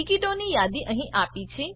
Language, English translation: Gujarati, List of tickets is given here